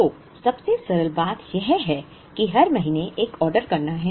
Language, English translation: Hindi, So, simplest thing is to make an order every month